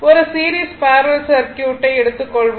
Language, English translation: Tamil, So, now, series parallel circuit so,